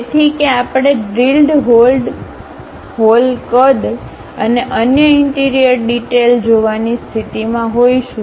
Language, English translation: Gujarati, So, that we will be in a position to really see the drilled hole size and other interior details